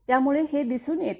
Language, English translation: Marathi, So, this way this is shown